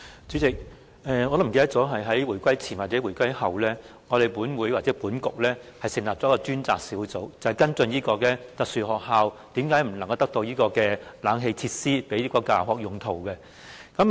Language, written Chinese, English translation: Cantonese, 主席，我已經忘記是回歸前還是回歸後，立法局或立法會曾成立一個小組委員會，跟進身體弱能兒童學校的設施，包括無法安裝空調設備作教學用途的原因。, President I have forgotten whether it took place before or after the reunification but a subcommittee was established under the then Legislative Council to follow up on the facilities in special schools including the reasons for not installing air - conditioning systems for teaching purposes